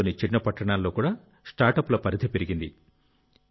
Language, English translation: Telugu, The reach of startups has increased even in small towns of the country